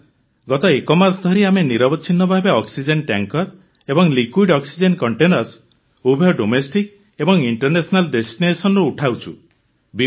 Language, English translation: Odia, Sir, from the last one month we have been continuously lifting oxygen tankers and liquid oxygen containers from both domestic and international destinations, Sir